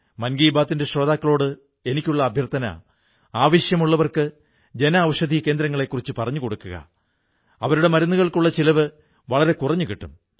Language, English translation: Malayalam, I appeal to the listeners of 'Mann Ki Baat' to provide this information about Jan Anshadhi Kendras to the needy ones it will cut their expense on medicines